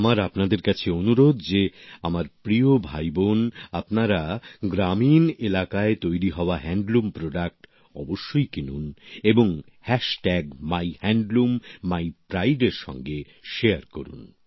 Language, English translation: Bengali, I urge you my dear brothers and sisters, to make it a point to definitely buy Handloom products being made in rural areas and share it on MyHandloomMyPride